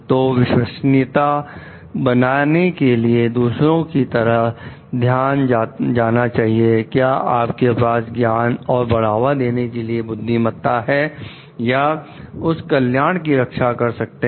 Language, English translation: Hindi, So, trustworthiness practices requires attention towards others well being and do you have the knowledge and wisdom to promote or safeguard that well being